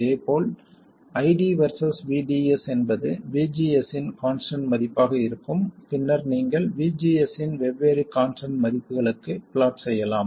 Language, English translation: Tamil, Similarly, ID versus VDS would be for a constant value of VGS and then you plot it for different constants values of VGS